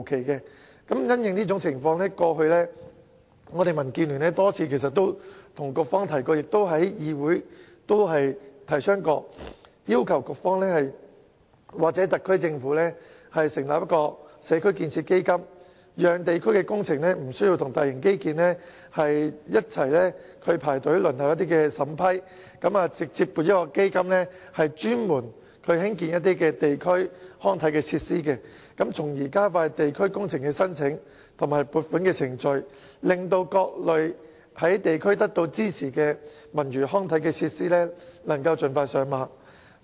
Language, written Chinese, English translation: Cantonese, 因應這種情況，過去我們民主建港協進聯盟已多次向局方及議會反映，要求局方或特區政府成立"社區建設基金"，讓地區工程無需與大型基建工程一同排隊輪候審批，而是直接向一個專門興建地區康設施的基金提出申請，從而加快地區工程申請及撥款程序，使各類獲地區支持的文娛康體設施能盡快上馬。, Under the circumstances our Democratic Alliance for the Betterment and Progress of Hong Kong have for a couple of times reflected our views to the Bureau and the Council and asked the Bureau and the SAR Government to establish a community building fund so that local community projects do not have to queue up for approval together with large - scale infrastructural projects but can apply for funding directly from a dedicated fund for the construction of local community facilities . In that case the application and approval procedures for local community projects can be expedited and various kinds of cultural sports and recreational facilities supported by the community can get off the ground as soon as possible